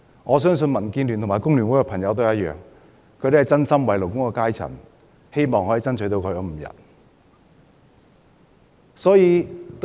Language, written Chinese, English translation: Cantonese, 我相信民建聯和工聯會的議員也是一樣，是真心為勞工階層，希望可以爭取5天侍產假。, I believe this is the same for Members of DAB and FTU who have genuinely wished for the good of the working class and sought to strive for five days of paternity leave